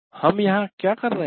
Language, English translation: Hindi, What are we doing there